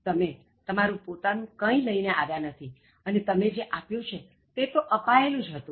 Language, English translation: Gujarati, You didn’t bring anything on your own and What you gave has been given here